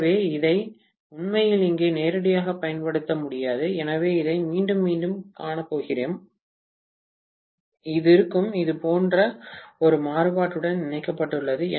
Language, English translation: Tamil, So, I cannot really, directly apply this here, so let me show this here again, this will be connected to a variac like this